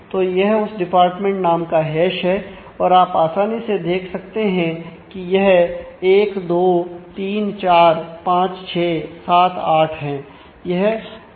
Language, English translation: Hindi, So, this is this is the hash of that department name and hashed into you can you can easily see this is 1, 2, 3, 4, 5, 6, 7, 8